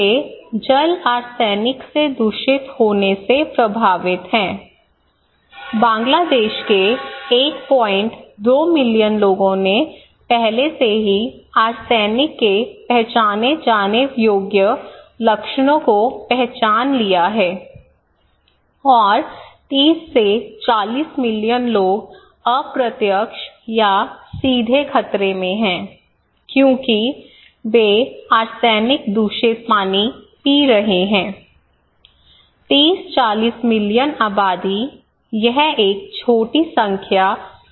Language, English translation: Hindi, 2 million people of Bangladesh already recognised identifiable symptoms of arsenic, okay and 30 to 40 million people are at risk indirectly or directly because they are drinking arsenic contaminated water, it is not a small number, 30 to 40 million population